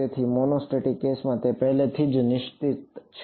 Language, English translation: Gujarati, So, in a monostatic case it is already fixed